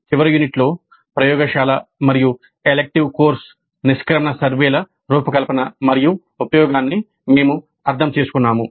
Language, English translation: Telugu, In the last unit, we understood the design and use of laboratory and elective course exit surveys